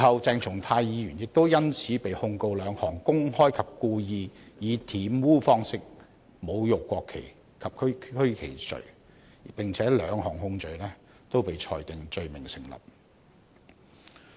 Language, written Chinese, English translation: Cantonese, 鄭松泰議員事後因此被控兩項公開及故意以玷污方式侮辱國旗及區旗罪，兩項控罪均被裁定成立。, Subsequently Dr CHENG Chung - tai was charged with two counts of desecrating the national flag and the regional flag by publicly and wilfully defiling them . He was found guilty of both charges